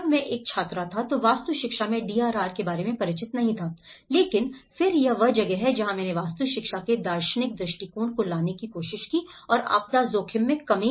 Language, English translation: Hindi, When I was a student there was not familiarity about the DRR in the architectural education but then this is where I also tried to bring the philosophical perspectives of architectural education and the disaster risk reduction